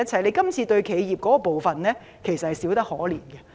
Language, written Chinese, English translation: Cantonese, 這次修訂對企業的援助真的可謂少得可憐。, This amendment exercise honestly offers very very little help to enterprises